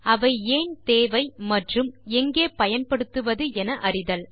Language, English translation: Tamil, Know why they are needed and where to use them